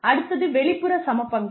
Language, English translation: Tamil, The next is external equity